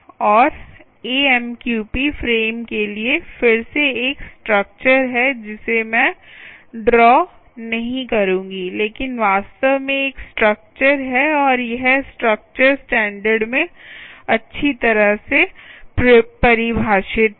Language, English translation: Hindi, and there is again a structure for the amqp frames which i will not draw, but there is indeed a structure, and this structure is what is well defined in the standard